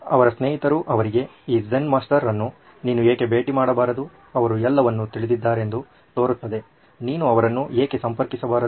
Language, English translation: Kannada, So his friends counselled him and said why don’t you visit this Zen Master who seems to know it all, why don’t you approach him